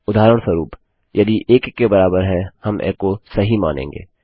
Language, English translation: Hindi, For example, if 1 equals 1 we say echo True